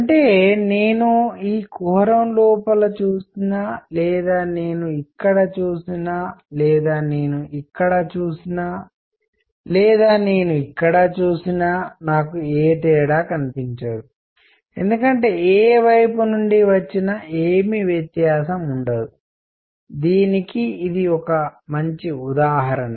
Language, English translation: Telugu, That means whether I look inside this cavity, whether I see here, whether I see here, whether I see here, I will not see any difference because there will be no contrast from any side coming, alright, a good example of this